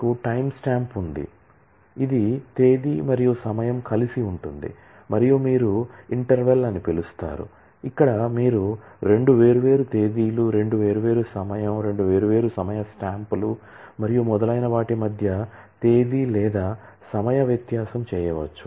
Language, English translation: Telugu, You have a timestamp, which is date and time together and you have what is known as interval where you can do a date or time difference between two different dates, two different time, two different time stamps and so on